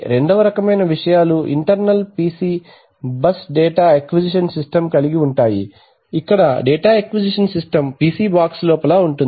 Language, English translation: Telugu, Second kinds of things have internal PC bus data acquisition systems where the data acquisition system strikes inside the PC box right